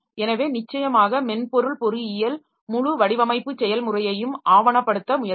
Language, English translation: Tamil, So, that definitely the software engineering it will try to document the whole design process